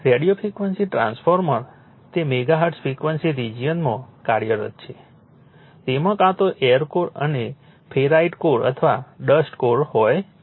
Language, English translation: Gujarati, Radio frequency transformer it is operating in the megaHertz frequency region have either and air core a ferrite core or a dust core